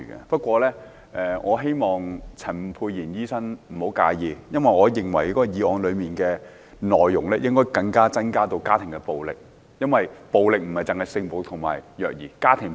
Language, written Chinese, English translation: Cantonese, 不過，我希望陳沛然醫生不要介意，我認為議案內容應納入家庭暴力，因為暴力問題涵蓋性暴力、虐兒及家庭暴力。, Yet I hope Dr Pierre CHAN would not mind as I think the problem of domestic violence should be included in the contents of the motion . It is because the issue of violence covers sexual violence child abuse and domestic violence as well